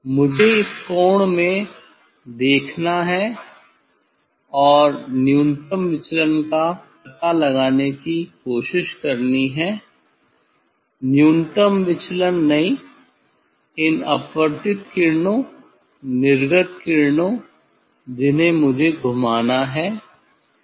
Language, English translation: Hindi, I have to look in this angle and try to find out the minimum deviation, not minimum deviation this refracted rays emergent rays I have to I rotate this